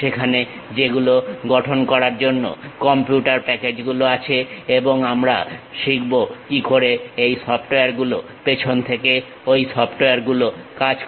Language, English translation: Bengali, There are computer packages which are available to construct that and what we will learn is how these softwares, the background of those softwares really works